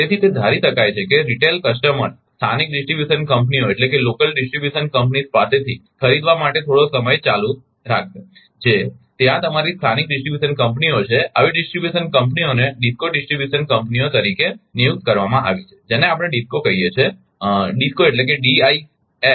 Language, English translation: Gujarati, Therefore it can be assumed that the retail customers will continue for some time to buy from the local distribution companies that is there there your local distribution companies right, such distribution companies have been designated as DISCOs distribution companies we call DISCOs